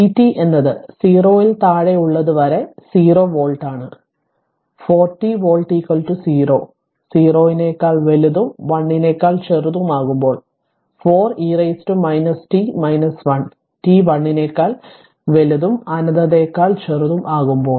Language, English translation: Malayalam, You have to first is v t is 0 volt for some time till less than I have told till less than 0 and 4 t volt 20 greater than 0 less than 1 and 4 e to the power minus t minus 1 for t greater than 1 less than infinity